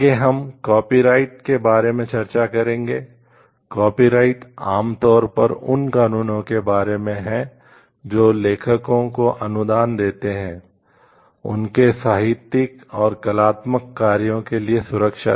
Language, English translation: Hindi, Copyrights are generally about the laws which grant authors, the protection for their literary and artistic work